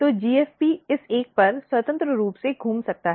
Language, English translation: Hindi, So, GFP is getting, it can move freely across this one